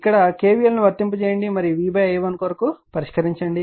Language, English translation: Telugu, So, here you apply k v l here to apply k v l and solve it for i1 and i 2